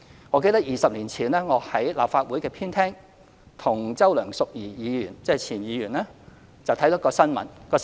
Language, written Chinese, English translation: Cantonese, 我記得20年前，我在立法會的前廳與前議員周梁淑怡看到一段新聞。, I recall watching a news report with former Member Selina CHOW in the Ante - Chamber of the former Legislative Council Building 20 years ago